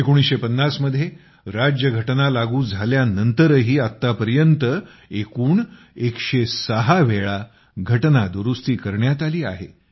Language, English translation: Marathi, Even after the Constitution came into force in 1950, till this day, a total of 106 Amendments have been carried out in the Constitution